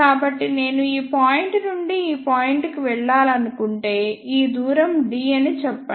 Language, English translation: Telugu, So, if I want to move from this point to this point let us say this distance is d